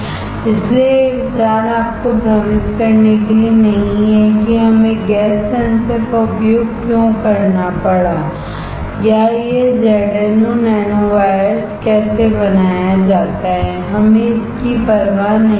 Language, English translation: Hindi, So, the idea is not to confuse you with why we had to use gas sensor or how this ZnO nanowires are created we do not care